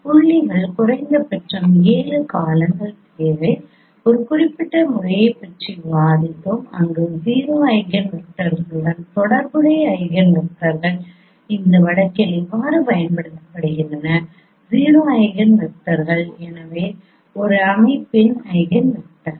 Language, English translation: Tamil, Minimum seven pairs of points required, we have discussed one particular method where we have seen that how the eigenvectors corresponding to zero eigenvalues they are used in this case, zero eigenvalues, so eigenvectors of a system